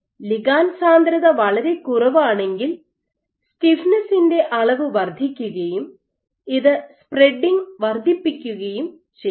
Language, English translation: Malayalam, While when the ligand density is very low what you find is increasing amount of stiffness is to increase spreading